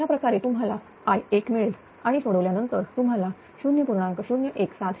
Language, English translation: Marathi, With this you will get I 1 is equal to after simplification you will get 0